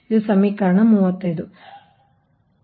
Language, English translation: Kannada, this is equation thirty five